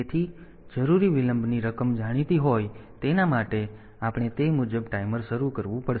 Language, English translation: Gujarati, So, that amount of delay needed is known and for that we have to initialize the timer accordingly